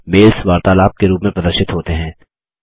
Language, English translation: Hindi, The mails are displayed as a conversation